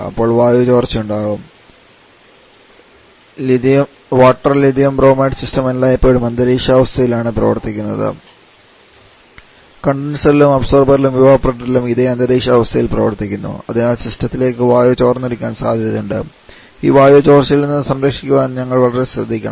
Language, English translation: Malayalam, Then there can be air leakage problem the water Lithium Bromide system always works under atmospheric condition at both condenser and observer and also in the evaporator therefore, it is possible that air can look into the system and we have to very careful to protect from this